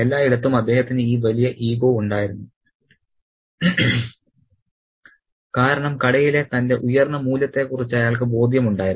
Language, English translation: Malayalam, All along he had this massive ego because he was aware of his superior value in the shop